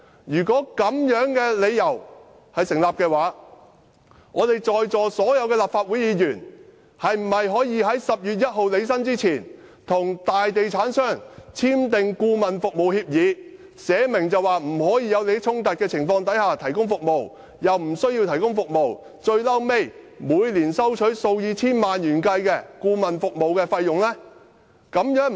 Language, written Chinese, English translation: Cantonese, "如果這樣的理由也能成立，在座所有立法會議員是否可以在10月1日履新前，與大地產商簽訂顧問服務協議，訂明在沒有利益衝突的情況下提供服務，但無須提供服務，便可每年收取數以千萬元計的顧問服務費用？, If such a case can be justified can all Legislative Council Members present sign consultant service agreements with major property developers before they assumed office on 1 October specifying that services would only be provided if there was no conflict of interest and they could receive an annual consultants fees amounting to several hundred thousand dollars without providing any services?